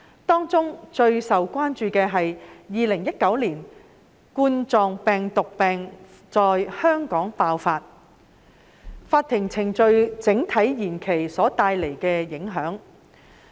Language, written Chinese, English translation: Cantonese, 當中最受關注的是2019冠狀病毒病在香港爆發，令法庭程序整體延期所帶來的影響。, Among such issues the impacts of the general adjournment of court proceedings caused by the Coronavirus Disease 2019 outbreak in Hong Kong have aroused the greatest concerns